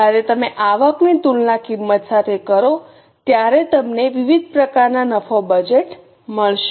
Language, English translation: Gujarati, When you compare the revenue with cost, you will get various types of profit budgets